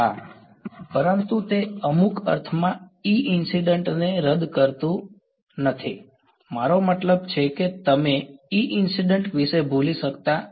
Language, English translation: Gujarati, Yeah, but that it does not cancel of the E incident in some sense I mean you cannot forget about the E incident ok